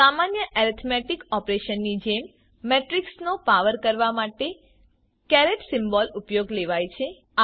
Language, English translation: Gujarati, A caret symbol is used to raise a matrix to power, like in ordinary arithmetic operations